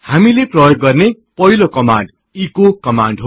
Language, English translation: Nepali, The first command that we will see is the echo command